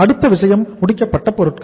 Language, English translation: Tamil, Then is the next thing is the finished goods